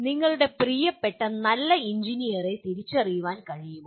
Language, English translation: Malayalam, Can you identify or you identify your favorite good engineer